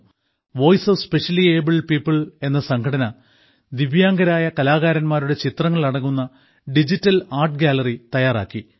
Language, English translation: Malayalam, Voice of Specially Abled People has prepared a digital art gallery of paintings of these artists